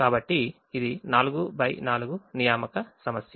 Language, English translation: Telugu, so it is a four by four assignment problem